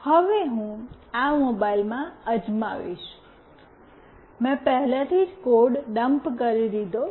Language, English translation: Gujarati, Now I will try out in this mobile, I have already dumped the code